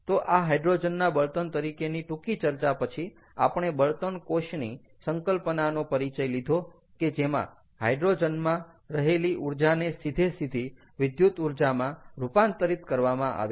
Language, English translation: Gujarati, so with that brief discussion at hydrogen as fuel, we moved on to and we introduce the concept of fuel cells, where hydrogen, which is a device that cons, that converts the energy trapped in hydrogen directly into electricity